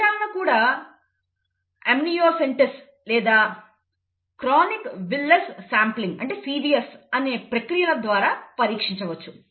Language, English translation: Telugu, Even foetuses can be tested through procedures called amniocentesis or chorionic villus sampling called CVS